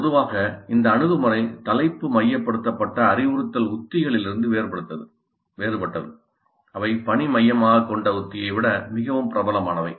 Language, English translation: Tamil, This is different in general, this approach is different from topic centered instructional strategies which is probably more popular than task centered strategy